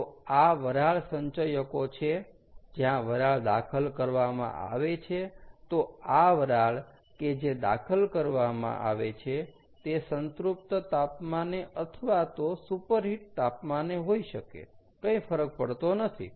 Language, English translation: Gujarati, ok, so this steam that is injected can be either at the saturated temperature or can be superheated, doesnt matter